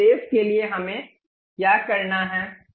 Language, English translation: Hindi, For that purpose what we have to do